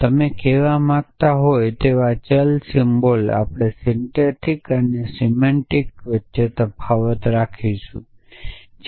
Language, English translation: Gujarati, A variable symbols you might want to say we do not we will sort of not keep distinguish between the syntax and semantics